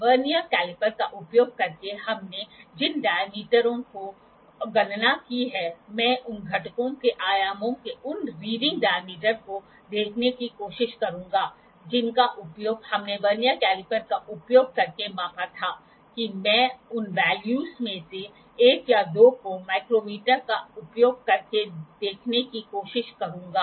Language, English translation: Hindi, The diameters that we calculated using Vernier caliper, I will try to see those readings diameters of dimensions of components that we used we measured using Vernier caliper that I will try to see the values or one or two of those values using the micrometers as well